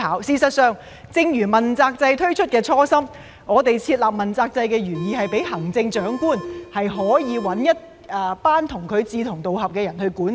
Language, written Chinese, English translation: Cantonese, 事實上，正如問責制推出的初心，我們設立問責制的原意是讓行政長官可以選擇一組志同道合的人參與管治。, In fact just like the original aspiration in launching the accountability system we established the accountability system with the original intent of allowing the Chief Executive to choose a group of like - minded people to participate in governance